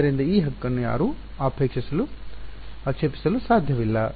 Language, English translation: Kannada, So, no one can object to this right